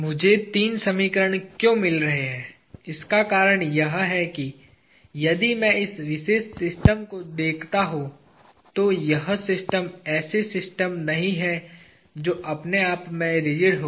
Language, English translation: Hindi, The reason why I am getting three equations is if I look at this particular system, this system is not a system which is rigid by itself